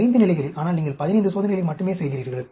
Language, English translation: Tamil, At 5 levels, but, you are doing only 15 experiments